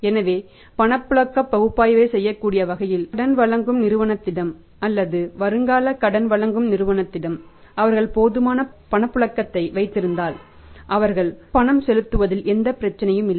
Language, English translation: Tamil, so, in that way the analysis can be done in a way we are making the liquidity analysis of the borrowing firm or the prospective borrowing firm if they maintain the sufficient liquidity with them then there be no problem for them to make the payment